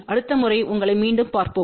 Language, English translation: Tamil, Thank you and we will see you again next time bye